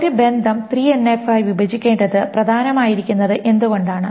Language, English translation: Malayalam, So what again is the problem with 3NF, why it is important to break a relation into 3NF